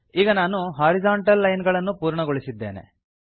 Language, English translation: Kannada, So now I have completed the horizontal lines